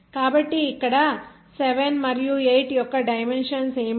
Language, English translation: Telugu, So what are the dimension of 7 and 8 here